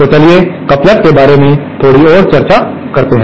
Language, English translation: Hindi, So, let us discuss a little bit more about couplers